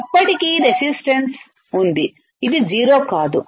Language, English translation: Telugu, So, still there is a resistance, it is not 0 right